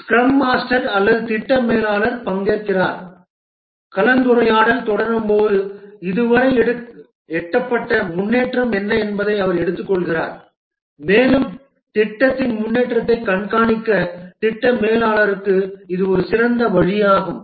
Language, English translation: Tamil, The scrum master or the project manager participates and as the discussion proceeds, he picks up that what is the progress that has been achieved so far and this is a good way for the project manager to track the progress of the project